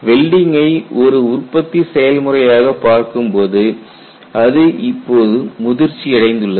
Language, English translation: Tamil, See, if you look at welding as a manufacturing process, it has matured now